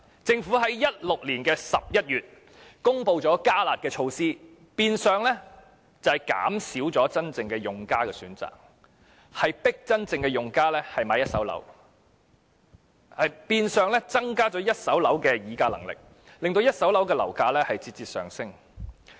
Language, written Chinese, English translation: Cantonese, 政府在2016年11月公布"加辣"措施，變相減少真正用家的選擇，迫使他們購買一手住宅物業，亦變相增加了一手住宅物業發展商的議價能力，令一手住宅物業的樓價節節上升。, The Governments announcement of the enhanced curb measure in November 2016 has in effect reduced the choices for genuine users forcing them to buy first - hand residential properties . It has also de facto increased the bargaining power of first - hand residential property developers thus causing the incessant rise in the prices of first - hand residential properties